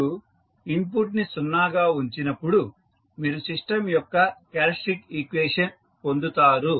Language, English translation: Telugu, When you put the input as 0, so you got the the characteristic equation of the system